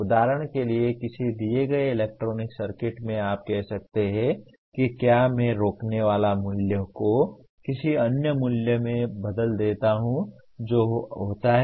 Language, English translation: Hindi, For example in a given electronic circuit you can say if I change the resistor value to another value what happens